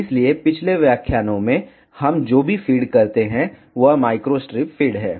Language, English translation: Hindi, So, in previous lectures whatever type of feed we use that feed is micro strip feed